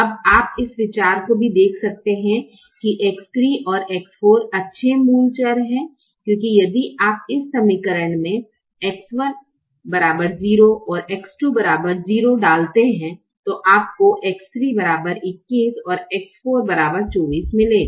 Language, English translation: Hindi, now one can also see that you can see this idea that x three and x four are good basic variables, because if you put x one equal to zero and x two equal to zero in this equation, you will get x three equal to twenty one, x four equal to twenty four, for example